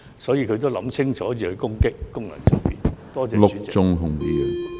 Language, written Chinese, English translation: Cantonese, 所以，他應該想清楚再攻擊功能界別。, He should think twice before launching another attack on FCs